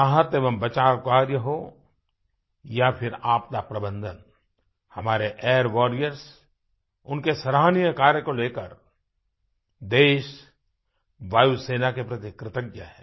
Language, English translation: Hindi, Be it the relief and rescue work or disaster management, our country is indebted to our Air Force for the commendable efforts of our Air Warrior